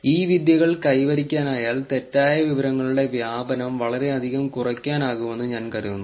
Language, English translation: Malayalam, If these techniques can be achieved then I think the spread of a misinformation can be reduced a lot